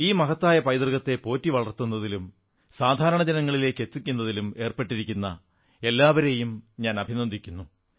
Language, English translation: Malayalam, I congratulate all those actively involved in preserving & conserving this glorious heritage, helping it to reach out to the masses